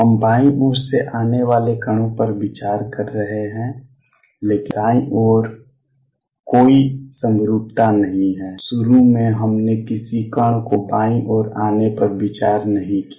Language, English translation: Hindi, We are considering particles coming from the left, but on the right hand side there is no symmetry in that initially we did not consider any particle coming to the left